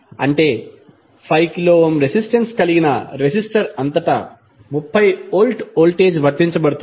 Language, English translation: Telugu, That is supposed a 30 volt voltage is applied across a resistor of resistance 5 kilo Ohm